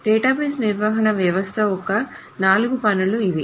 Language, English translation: Telugu, So these are the four tasks of a database management system